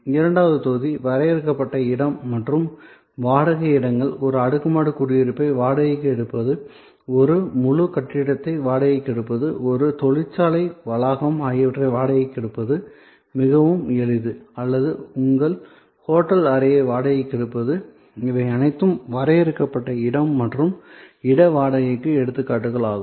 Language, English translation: Tamil, The second block is defined space and place rentals, very easy to understand renting of an apartment, renting of a whole building, renting of a factory, premises or your, renting of your hotel room, all these are examples of defined space and place rentals